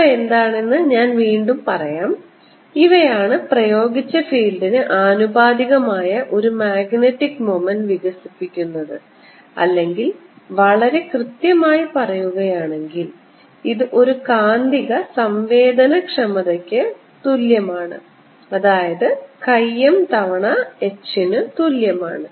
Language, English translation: Malayalam, these are the ones that develop a magnetic moment proportional to the applied field, or, to define it very precisely, this becomes equal to a magnetic susceptibility: chi m times h